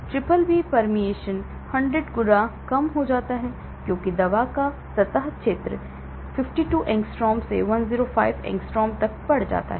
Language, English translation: Hindi, BBB permeation decreases 100 fold as the surface area of the drug is increased from 52 angstroms to 105 Angstrom